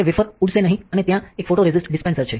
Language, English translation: Gujarati, So, that wafer will not fly and then there is a photoresist dispenser